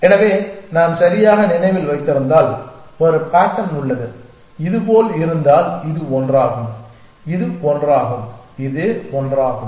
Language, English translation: Tamil, So, if I remember correctly there is a pattern which looks like this that if this is one and this is one and this is one